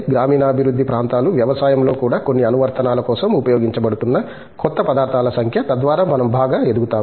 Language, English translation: Telugu, Rural development areas, the number of newer materials that are being developed which are being used for certain applications in even agriculture, so that we grow better